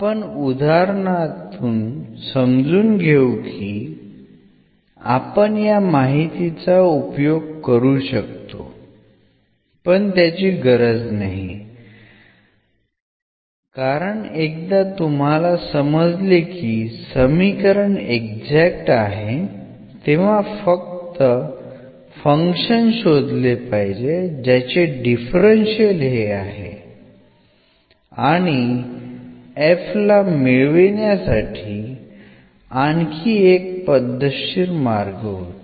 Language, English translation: Marathi, So, we will see in the example also that one can use this directory as well but there is no need because once we know that the equation is exact we have to just find a function whose differential is this and there was a another systematic approach which works to get this f here